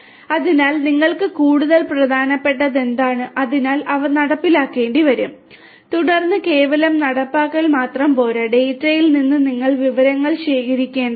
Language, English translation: Malayalam, So, what is more important for you; so those will have to be implemented and then just mere implementation is not sufficient you will have to from the data you will have to gather the information